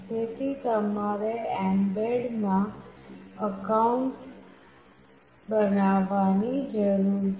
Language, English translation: Gujarati, So, you need to create an account in mbed